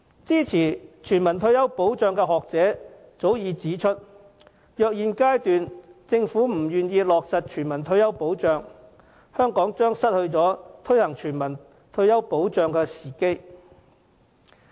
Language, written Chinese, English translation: Cantonese, 支持全民退休保障的學者早已指出，如果政府在現階段不落實全民退休保障，香港將錯失推行全民退休保障的時機。, As academics in favour of universal retirement protection have pointed out Hong Kong will miss the opportunity of implementing universal retirement protection unless the Government takes actions to do so now